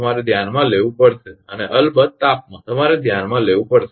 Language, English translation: Gujarati, You have to consider and temperature of course, you have to consider